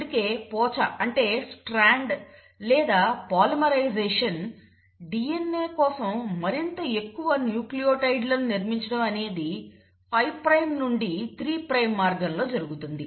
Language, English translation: Telugu, That is why you find that the Strand or the polymerisation, building up of more and more nucleotides for DNA happens from a 5 prime to a 3 prime direction